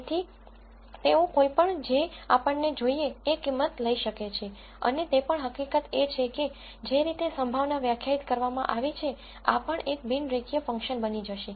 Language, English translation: Gujarati, So, they can take any value that that we want and also the fact that the way the probability is defined, this would also become a non linear function